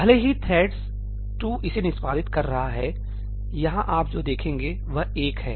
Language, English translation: Hindi, Even though thread 2 is executing it, what you will see over here is ëoneí